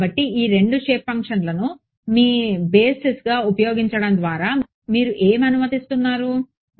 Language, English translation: Telugu, So, by constructing by using these two shape functions as your basis functions what you are allowing